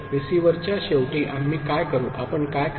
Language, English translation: Marathi, At the receiver end, what we’ll, what will you do